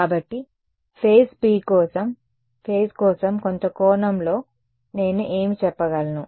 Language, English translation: Telugu, So, when for the phase for the phase speed in some sense should be the same what can I say